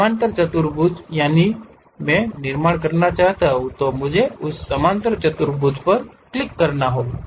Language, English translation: Hindi, Parallelogram if I would like to construct what I have to do click that parallelogram